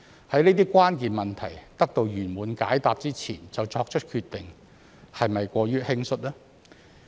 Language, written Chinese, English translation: Cantonese, 在這些關鍵問題得到圓滿解答之前就作出決定，是否過於輕率呢？, Is it too hasty to make a decision before we can get some satisfactory answers to these key questions?